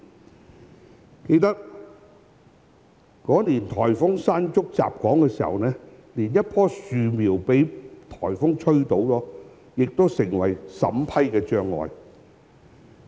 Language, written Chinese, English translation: Cantonese, 我記得那年颱風"山竹"襲港時，連一棵樹苗被颱風吹倒也成審批的障礙。, I recall that when Typhoon Mangkhut hit Hong Kong that year even a sapling blown down by the typhoon could become a barrier for approval